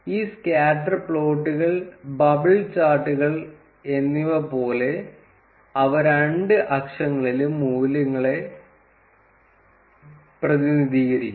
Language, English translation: Malayalam, And just like these scatter plots, bubble charts, they represent values on both the axis